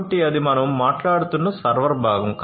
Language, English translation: Telugu, So, that is the server component that we are talking about